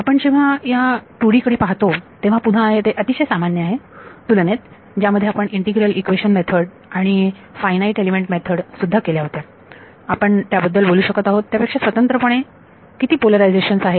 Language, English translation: Marathi, So, when we look at 2D, again this is common to what we did in the integral equation methods and finite element methods also, how many polarizations are there independent that we can talk about